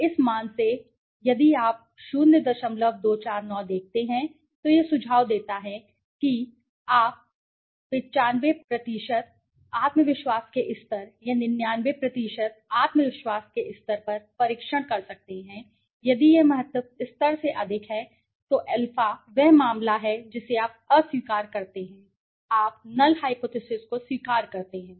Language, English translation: Hindi, 249 it suggest that because since you might be testing at 95% confidence level or 99% confidence level if it is more than the significance level then the a then that case you reject you accept the null hypothesis